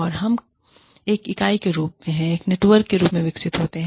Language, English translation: Hindi, And, we grow as a network, as one unit